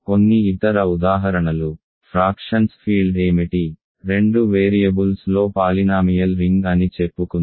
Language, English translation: Telugu, Some other examples, what is the field of fractions of, let us say polynomial ring in two variables